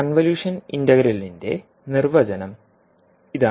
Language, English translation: Malayalam, So this integral is called as a convolution integral